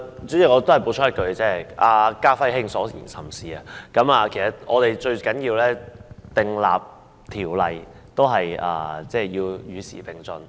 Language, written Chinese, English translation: Cantonese, 主席，我想補充一句，"家輝兄"所言甚是，我們在訂立條例時，最重要是與時並進。, Chairman I wish to add a couple of words . Our honourable friend Ka - fai is most correct in saying that when we enact an ordinance it is most important to keep abreast of the times